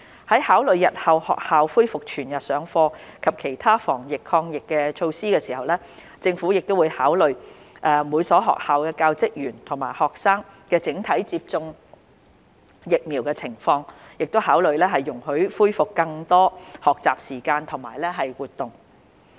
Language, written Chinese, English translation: Cantonese, 在考慮日後學校恢復全日上課及其他防疫抗疫措施時，政府會考慮每所學校教職員及學生整體接種疫苗的情況，考慮容許恢復更多學習時間及活動。, When considering the resumption of full - day classes and other anti - epidemic measures in the future the Government will consider the overall vaccine take - up rate of teachers and staff as well as students in each school and consider allowing more learning time and activities to resume